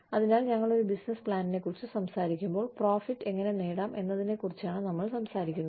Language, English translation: Malayalam, So, when we talk about a business plan, we are talking about, how we can achieve those profits